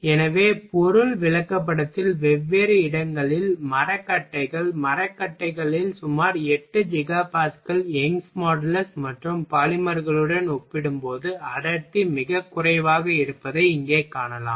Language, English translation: Tamil, So, now you can see that in material chart here variety of material placed at different different location, woods, woods as an around 8 Giga Pascal Young’s modulus and density is very low compared to polymers